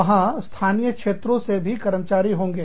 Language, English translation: Hindi, There is also the staff, from the local area